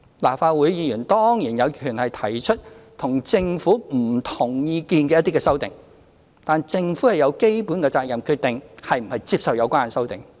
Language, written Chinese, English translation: Cantonese, 立法會議員當然有權提出與政府不同意見的修正案，但政府亦有基本責任決定是否接受有關修正案。, Members of the Legislative Council certainly have the right to propose amendments expressing views different from the Governments but then again the Government has a basic duty to decide whether to accept these amendments